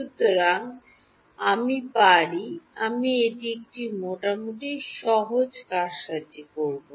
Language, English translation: Bengali, So, I can, I will this is a fairly simple manipulation